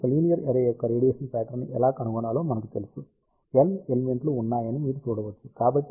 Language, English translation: Telugu, So, we know how to find out the radiation pattern of a linear array you can see that there are M elements